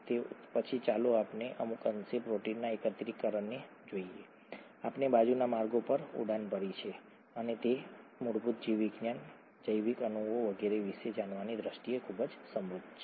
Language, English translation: Gujarati, Then, let us look at the protein aggregation to a certain extent, we took off on side routes and those stand out to be very enriching in terms of knowing about fundamental biology, biological molecules and so on